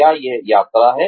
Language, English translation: Hindi, Is it travelling